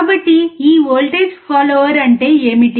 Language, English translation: Telugu, So, what exactly is this voltage follower